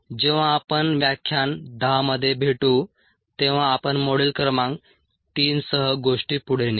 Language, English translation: Marathi, when we meet in lecture ten we will take things forward with module number three, see you